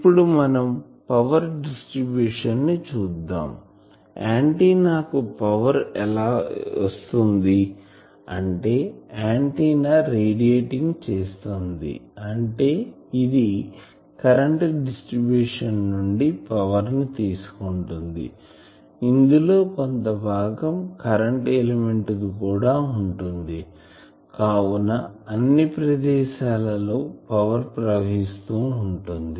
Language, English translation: Telugu, Now, we will come to the power distribution that, what is the proof that this antenna is getting power because if we it is radiating means power is taken from the current distribution antenna that means, current element to some space, to all the places the power is flowing